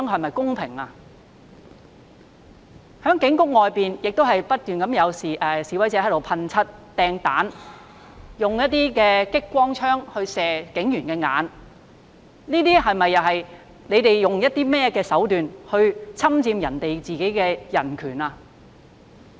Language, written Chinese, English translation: Cantonese, 在警察總部外面不斷有示威者噴漆、擲雞蛋、用激光照射警員的眼睛，他們用甚麼手段來侵犯別人的人權呢？, Protesters kept spray - painting hurling eggs and flashing police officers eyes with laser beams outside the Police Headquarters . What means did they use to violate the human rights of others?